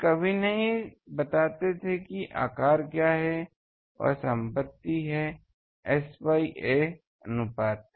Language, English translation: Hindi, They would not never tell what is the size, that is the property this is S by ‘a’ ok